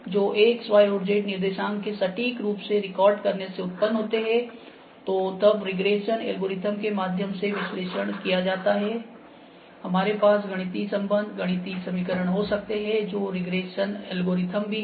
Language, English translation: Hindi, So, by precisely recording the X, Y and Z coordinates of the target points are generated, which can then be analyzed via regression algorithms because we might, we can have the mathematical relations, mathematical equations which are regression algorithms as well